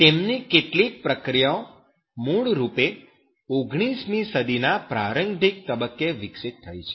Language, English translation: Gujarati, And their some process is developed at early stages basically in the 19th century there